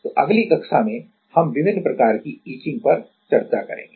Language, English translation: Hindi, So, next in the next class, we will discuss on different kind of etching